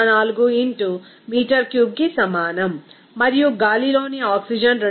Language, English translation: Telugu, 04 into x meter cube and oxygen in air to be is equal to 2